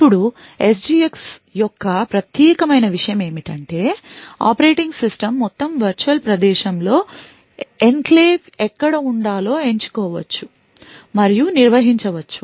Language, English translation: Telugu, Now the unique thing about the SGX is that the operating system can choose and manage where in the entire virtual space the enclave should be present